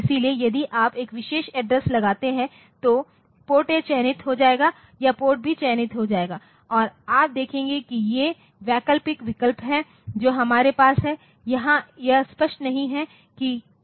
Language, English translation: Hindi, So, if you put a pa particular address the PORT A will get selected or PORT B will get selected and you see that these are the alternate that we have so, here it is not very clear like what do they mean